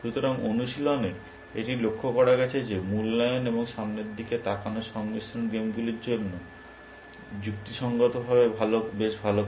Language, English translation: Bengali, So, in practice, it has been observed that a combination of evaluation and look ahead does reasonably well for games